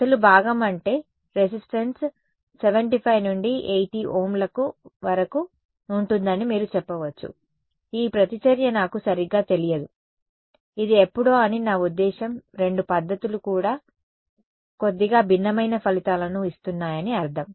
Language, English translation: Telugu, You can say it seems that the real part I mean the resistance is around 75 to 80 Ohms, this reactance I do not know right it's sometime I mean both the results both the methods are giving slightly different results not slightly different results